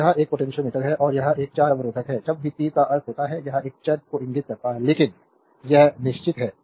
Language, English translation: Hindi, So, this is a potentiometer and this is a variable resistor, whenever making the arrow means this indicates a variable, but this is a fixed one